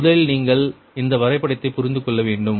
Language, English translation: Tamil, first you have to understand this diagram